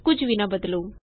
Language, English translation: Punjabi, Dont change anything